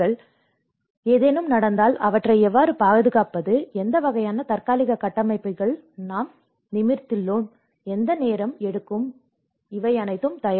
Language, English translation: Tamil, So, if something happens, how to safeguard them and what kind of temporary structures we have erect and what time it takes, this is all preparation